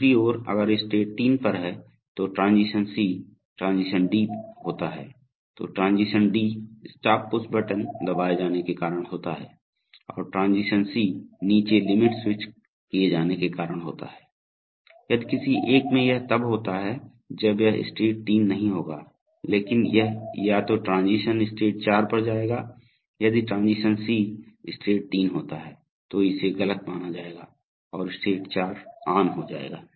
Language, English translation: Hindi, On the other hand, while state 3 is on if either transition C or transition D occurs, transition D is due to the stop push button being pressed and transition C is due to the bottom limit switch being made, if one of the any one of these occurs then it will no longer been state 3 but it will go to either transition state 4, if transition C occurs state 3 will be falsified and state 4 will become on